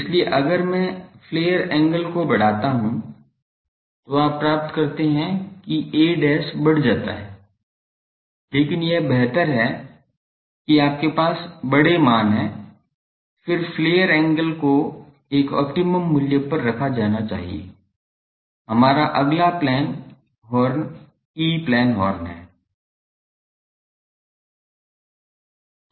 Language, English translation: Hindi, So, if I go on increasing the flare angle, then you get that a dashed gets increased, but it is better that you have the larger ones, then flare angle should be kept at a optimum value though, the next one is our E plane horn